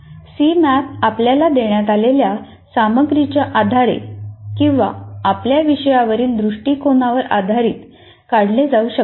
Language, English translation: Marathi, The C map can be drawn based on the content given to you and are on your view of the subject